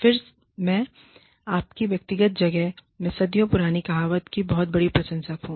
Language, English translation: Hindi, Again, i am a big fan of, the age old adage of, your personal space